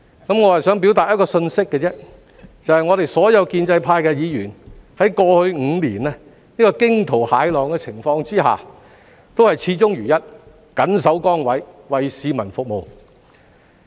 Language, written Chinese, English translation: Cantonese, 我只是想表達一個信息，就是我們所有建制派議員在過去5年這個驚濤駭浪的情況之下，都是始終如一、緊守崗位、為市民服務。, I just wish to convey a message here all the pro - establishment Members of the Legislative Council have remained consistent in fulfilling their duties and serving the community over the past five turbulent years